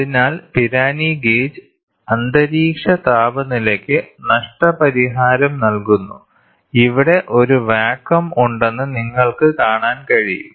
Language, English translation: Malayalam, So, Pirani gauge with compensation to ambient temperature, you can see here a vacuum is there